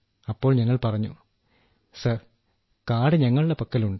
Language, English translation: Malayalam, Then I said sir, I have it with me